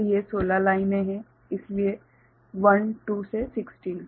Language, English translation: Hindi, So, these are 16 lines so, 1, 2 to 16